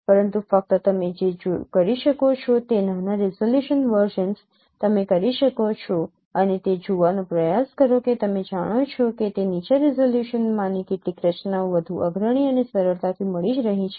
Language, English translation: Gujarati, But only thing what you can do you can get lower resolution versions and try to see that some of the structures in those lower resolutions are becoming more prominent and easily detectable